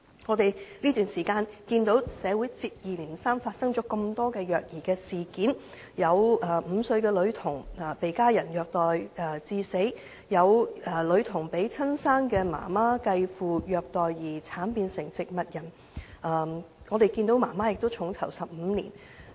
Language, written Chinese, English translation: Cantonese, 我們在這段時間內看到社會上接二連三發生多宗虐兒事件，有5歲女童遭家人虐待致死，亦有女童因遭生母和繼父虐待而慘變植物人，結果該名母親被重囚15年。, During this period we have seen incidents of child abuse happen in society one after another . A little girl aged five died of abuse by her family members . Tragically another girl abused by her biological mother and stepfather became vegetative